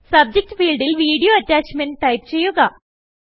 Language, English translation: Malayalam, In the Subject field, type Video Attachment